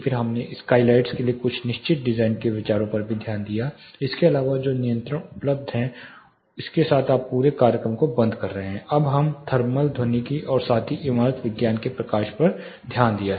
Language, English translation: Hindi, Then we also looked at certain design considerations for skylights apart from the type of controls, which are available with this you are closing the whole you know, program we so far we have been looked at the thermal acoustical as well as lighting park of building science